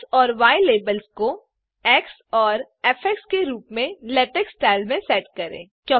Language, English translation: Hindi, Set the x and y labels as x and f in LaTeX style